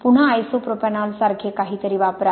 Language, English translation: Marathi, Again use something like isopropanol